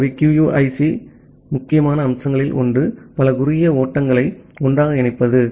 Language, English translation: Tamil, So, one of the important aspect of QUIC is to combine multiple short flows together